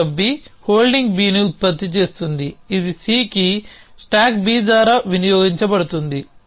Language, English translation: Telugu, Pickup B produces holding B which is consumed by stack B on to C